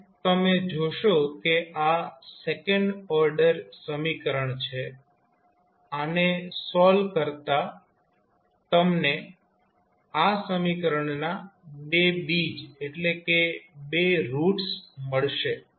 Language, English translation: Gujarati, Now, if you see this is second order equation solve you will say there will be 2 roots of this equation